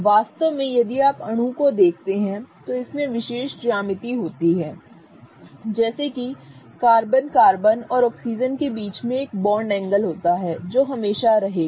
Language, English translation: Hindi, In fact if you look at the molecule it has particular geometry such that there is a bond angle between carbon carbon and oxygen that will always be there